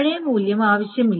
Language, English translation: Malayalam, So the old value is not needed